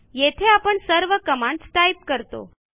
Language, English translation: Marathi, Do we have to type the entire command again